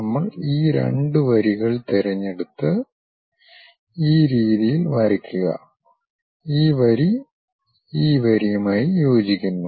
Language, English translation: Malayalam, We pick this these two lines, draw it in this way and this line coincides with this line